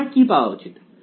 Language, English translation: Bengali, So, what should I get